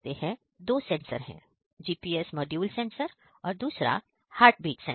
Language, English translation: Hindi, And there are two sensors; one sensor is GPS module and the one is heartbeat sensor